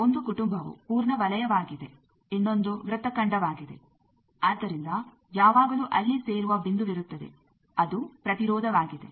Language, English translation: Kannada, One family is full circle another family is arc, so there will be always a meeting point that is the impedance